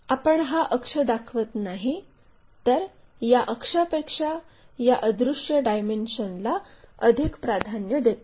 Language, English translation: Marathi, So, we do not show that axis and give preference more for this invisible dimension than for the axis